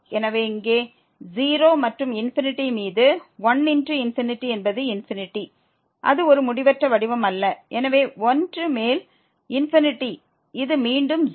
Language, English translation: Tamil, So, 0 here and 1 over infinity into infinity will be infinity it is not an indeterminate form so, 1 over infinity this is 0 again